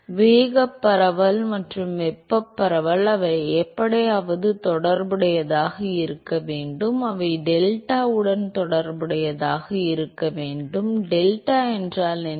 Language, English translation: Tamil, So, the momentum diffusion and the thermal diffusion, they have to somehow be related to; they have to be related to the delta, what is delta